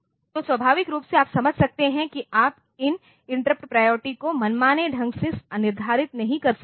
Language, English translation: Hindi, So, naturally you can understand that you cannot set these interrupt priorities arbitrarily